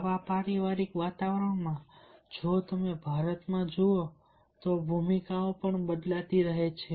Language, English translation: Gujarati, if you look into india, the roles are also changing